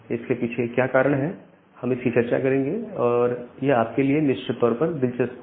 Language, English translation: Hindi, But what is the reason behind that failure we will discuss that, so that would be interesting for you